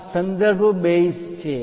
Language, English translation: Gujarati, This is the reference base